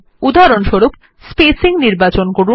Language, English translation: Bengali, For example, let us choose spacing